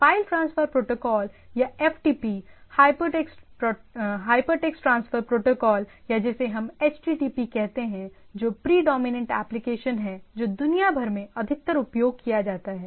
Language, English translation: Hindi, There are file transfer protocols or FTP, hypertext transfer protocol or what we say HTTP which is which is the predominant applications which is which has mostly used across the world